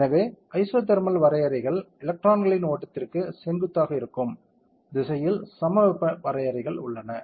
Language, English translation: Tamil, So, isothermal contours are there at the direction perpendicular to the flow of electrons are isothermal contours